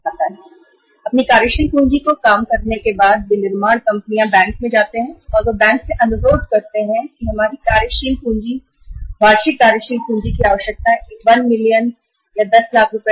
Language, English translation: Hindi, Manufacturing firms after working out its working capital requirement they move to the bank and they request the bank that our working capital, annual working capital requirement is say say 1 million, 10 lakh rupees